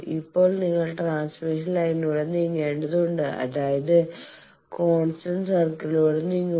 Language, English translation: Malayalam, Now, you will have to move along the transmission line; that means, move along the constant VSWR circle